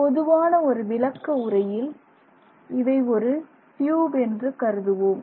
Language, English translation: Tamil, So, the general description is that it is like a tube